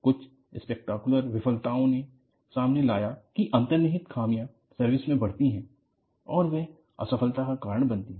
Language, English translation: Hindi, Some of the spectacular failures have opened up that, inherent flaws grow in service and they lead to failure